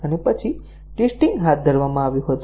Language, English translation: Gujarati, And then, the testing was carried out